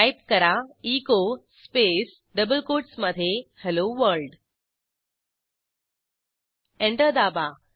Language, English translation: Marathi, Press Enter and type echo space within double quotes Hello world press Enter